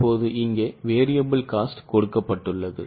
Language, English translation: Tamil, Now here variable cost is given now